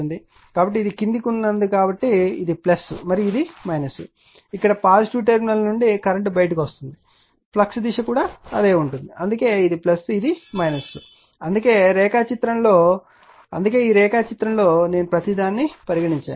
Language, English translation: Telugu, So, as it is downward means this is plus and this is minus, as if the way current comes out for the positive terminal here also the flux direction that is why this is plus this is minus that is why, that is why in the diagram that is why in this diagram, you are taken this one everything I have given to you